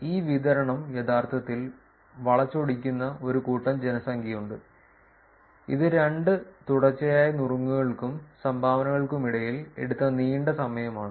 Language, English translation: Malayalam, There is set of population where this distribution is actually pretty skewed, which is long set of long time taken between two consecutive tips and dones